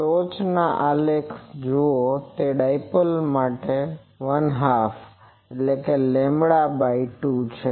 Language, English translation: Gujarati, Look at the top graph it is for a lambda by 2 dipoles